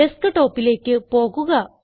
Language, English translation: Malayalam, Lets go to the Desktop